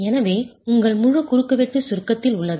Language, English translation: Tamil, Your full cross section is in compression